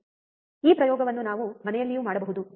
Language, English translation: Kannada, This experiment we can do even at home, alright